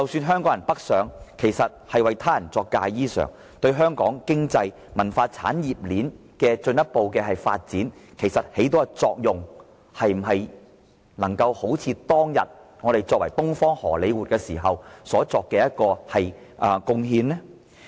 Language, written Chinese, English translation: Cantonese, 香港人北上其實是為他人作嫁衣裳，這樣對香港的經濟、文化產業鏈的進一步發展所起的作用，能否與當年香港被稱為"東方荷李活"時的貢獻所比擬呢？, The Hong Kong film workers who move to the north have just been sewing a wedding - gown for another bride to wear . Their contribution to Hong Kongs economy and the cultural industry chain simply cannot compare with the contribution made by those at the time when Hong Kong was called the Hollywood of the East